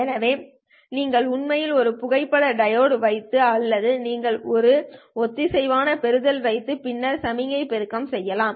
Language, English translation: Tamil, So you can actually put a photo diode or you can put a coherent receiver and then amplify the signal